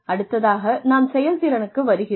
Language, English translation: Tamil, The next thing, that comes is performance